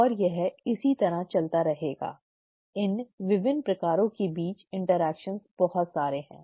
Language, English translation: Hindi, And this can go on and on, okay, the level of interactions between these various kinds, are so many